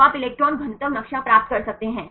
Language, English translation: Hindi, So, you can get the electron density map